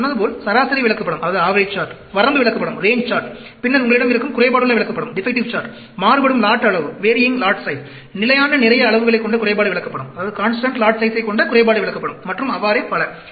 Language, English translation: Tamil, As I said, the average chart, the range chart, then, you have the defective chart, defects chart with varying lot size, constant lot size, and so on